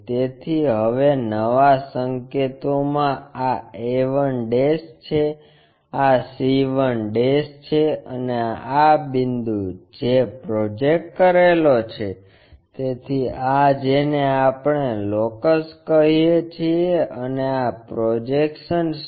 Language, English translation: Gujarati, So, now, in new notation this is a 1', this is c 1' and this point which is projected, so this is what we calllocus and this is the projection